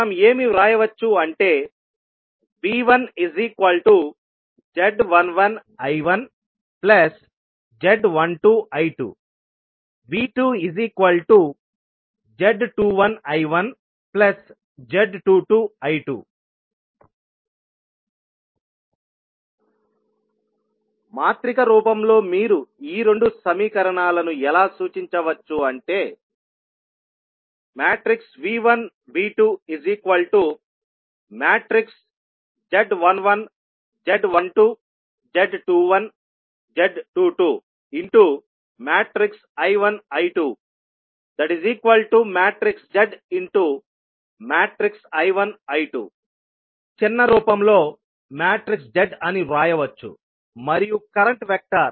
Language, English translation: Telugu, We can write V1 as Z11 I1 plus Z12 I2 and V2 as Z21 I1 plus Z22 I2 or in matrix form you can represent these two equations as matrix of V1, V2 and then you will have the impedance method that is Z11, Z12, Z21 and Z22 and then current vector